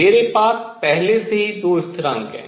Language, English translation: Hindi, How do we determine these constants